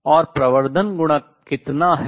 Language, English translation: Hindi, So, amplification factor times